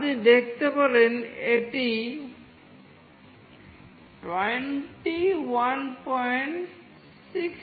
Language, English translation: Bengali, You can see that it has become 21